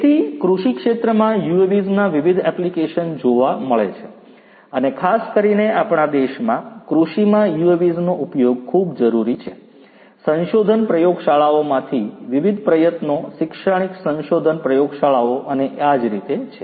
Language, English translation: Gujarati, So, UAVs in agriculture there are diverse applications and particularly in our country, use of UAVs in agriculture is very much required is very much there are a lot of different efforts from different research labs, in the academic research labs and so on